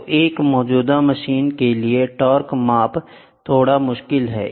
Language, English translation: Hindi, So, for an existing machine, torque measurement is slightly difficult